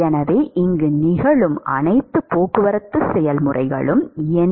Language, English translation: Tamil, So, what are all the transport processes which are occurring here